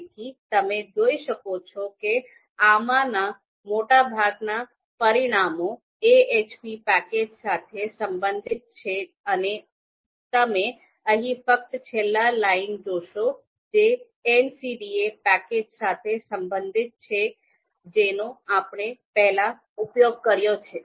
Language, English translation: Gujarati, So you can see most of the you know these these results lines of these results they are related to the AHP packages and you would see only the last line here, this is related to MCDA package that we have already used